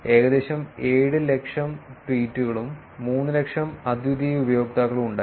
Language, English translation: Malayalam, There were about 700,000 tweets and about 300,000 unique users